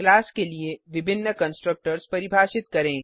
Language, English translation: Hindi, Define multiple constructors for a class